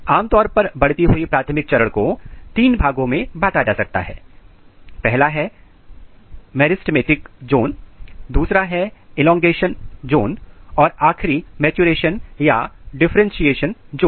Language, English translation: Hindi, The primary root can be divided into three zones, this is the meristematic zone, this is elongation zone and this is the maturation or differentiation zone